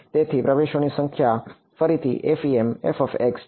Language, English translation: Gujarati, So, the number of entries are FEM is again order n